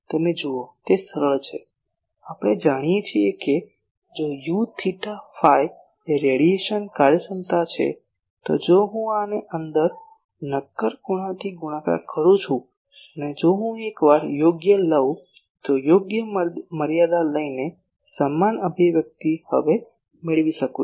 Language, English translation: Gujarati, You see it is easy we know that if u theta phi is the radiation efficiency then if I multiply these by solid angle and if I take appropriate once then the same expression by taking the proper limits I can get it now